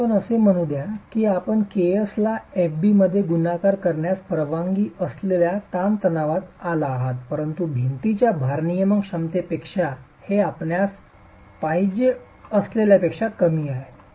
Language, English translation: Marathi, Now let's say you arrive at the permissible stress by multiplying KS into FB, but it's far lower than what you want as the load carrying capacity of the wall